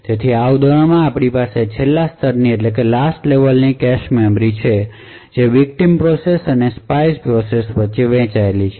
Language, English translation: Gujarati, So in this particular example we have the last level cache memory shared between the victim process and the spy process